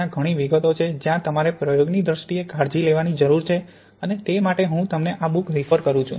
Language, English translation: Gujarati, There are many details where you need to be careful in terms of experimentation and for those I refer you to the book